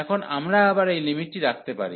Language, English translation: Bengali, And now we can put that limit back